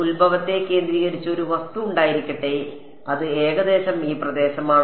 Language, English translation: Malayalam, May there is an object which is centered on the origin it is approximately in that region